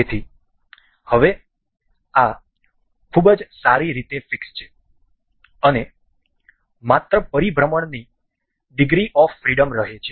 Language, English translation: Gujarati, So, now, this is very well fixed, and the only degree of freedom remains the rotation